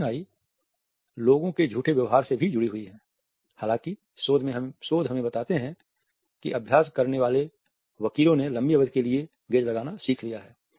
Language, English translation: Hindi, Darting eyes are also associated with the line behavior of people however researches tell us that practiced liars have learnt to hold the gaze for a longer period